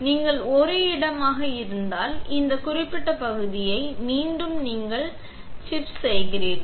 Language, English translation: Tamil, If you have a spot, then this particular area again you are killing the chip